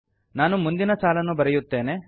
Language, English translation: Kannada, Let me enter the next line